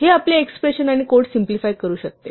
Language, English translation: Marathi, So, this can simplify our expressions and our code